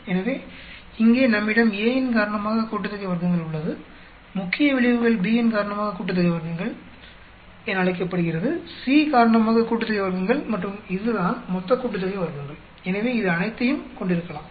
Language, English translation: Tamil, So, here we have the sum of squares because of A, main effects is called sum of squares because of B, sum of squares because of C, and this is total sum of squares, so it may contain everything